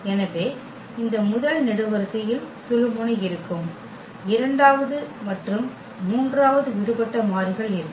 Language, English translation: Tamil, So, this first column will have pivot and the second and the third one will be the free variables